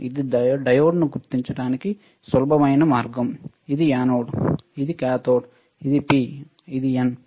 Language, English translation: Telugu, There is a cathode is easy way of identifying diode which is anode, which is cathode which is P which is N